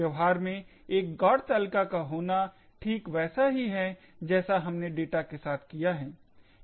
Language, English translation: Hindi, In practice having a GOT table just like how we have done with data is quite time consuming